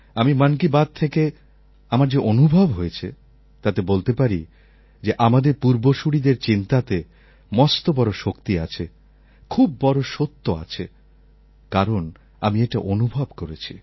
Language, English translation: Bengali, My experience of "Mann Ki Baat" made me realize that the thinking of our ancestors was very powerful and had great authenticity in them as I have myself experienced them